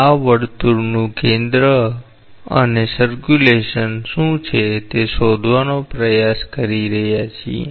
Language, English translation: Gujarati, This is the center of the circle and is trying to find out what is the circulation